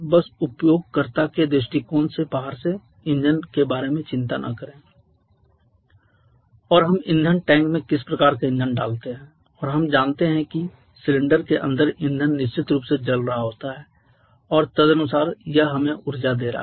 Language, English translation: Hindi, But how we run automobiles from outside just do not bother about the engine from outside from user point of view we pour some kind of fuel in the fuel tank and we know that that fuel definitely is burning inside the cylinder and accordingly it is giving us an energy